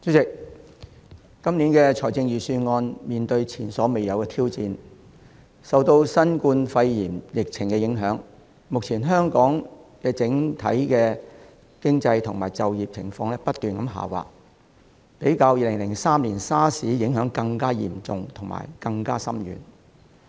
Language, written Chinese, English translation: Cantonese, 主席，今年的財政預算案面對前所未有的挑戰，受到新冠肺炎疫情的影響，目前香港整體經濟和就業情況不斷下滑，較2003年 SARS 的影響更嚴重和深遠。, President this years Budget has met unprecedented challenges . Under the impact of the novel coronavirus epidemic there is currently a continued drop in Hong Kongs overall economy and employment rate bringing about more serious and far - reaching impacts than that of SARS in 2003